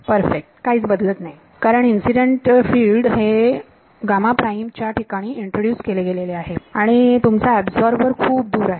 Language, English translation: Marathi, Perfect no change at all because incident field is being introduced at gamma prime and your absorber is far away